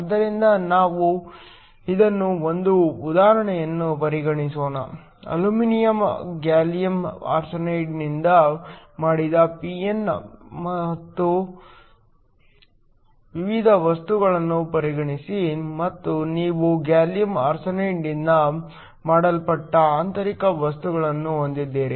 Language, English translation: Kannada, So, Let us consider an example for this, consider a p and n type material that is made of aluminum gallium arsenide and you have an intrinsic material that is made up of gallium arsenide